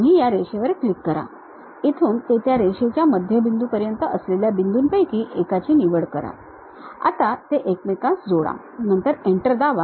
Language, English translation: Marathi, You click the Line, pick one of the point from there to midpoint of that line, you would like to connect; then press Enter